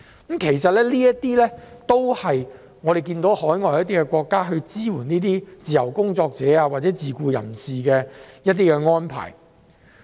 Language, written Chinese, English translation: Cantonese, 這些是我們看到海外國家支援自由工作者或自僱人士的一些安排。, These are some arrangements to support freelancers or self - employed people that we can see in overseas countries